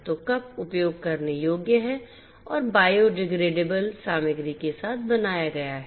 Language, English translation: Hindi, So, the cups are usable and made with biodegradable material